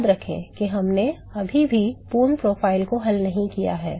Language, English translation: Hindi, Remember that we still have not solved the full profile